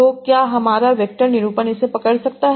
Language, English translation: Hindi, So, can my vector representation capture this